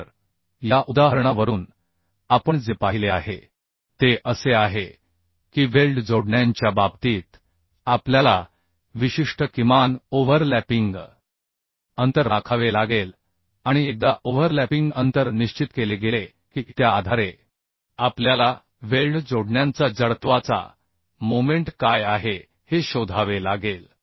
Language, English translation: Marathi, So from this example what we have seen that in case of weld connections we have to maintain certain minimum overlapping distance and once overlapping distance is decided based on that we have to find out what is the moment of inertia of the weld connections